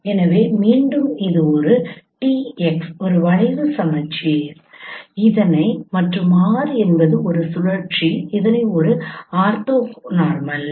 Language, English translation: Tamil, So once again this is a T cross is a scheme symmetric matrix and R is a rotation matrix which is an orthonormal matrix